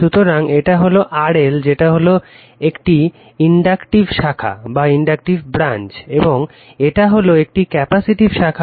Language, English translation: Bengali, So, youryour this is RLR L over L that is one inductive branch and this is one capacitive branch right